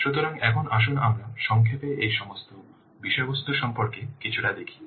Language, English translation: Bengali, So, now let's a little bit see about all these what contents in brief